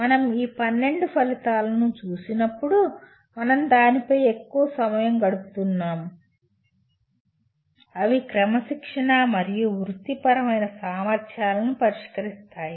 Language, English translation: Telugu, And when you look at these 12 outcomes as we spend considerable time on that, they address both disciplinary and professional competencies